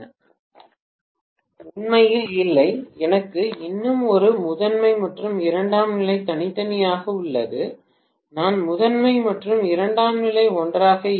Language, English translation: Tamil, Not really, I still have a primary and secondary separately, I am not having primary and secondary together